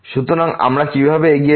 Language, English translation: Bengali, So, how do we proceed